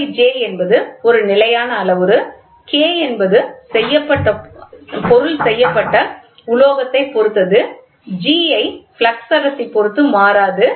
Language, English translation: Tamil, K by G is a constant parameter K is depends on material G is independent of flux density